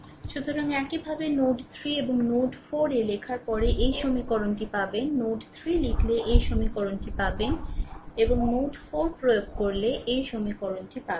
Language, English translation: Bengali, So, similarly if you write at node 3 and node 4, then you will get this equation right node 3 if you write you will get this equation, and node 4 if you apply you will get these equation right